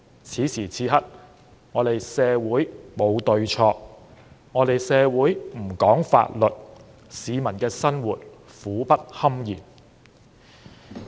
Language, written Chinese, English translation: Cantonese, 此時此刻，社會沒有對錯，社會不講法律，市民的生活苦不堪言。, At this point there is no right or wrong in society . Society does not care about the law and people are living in misery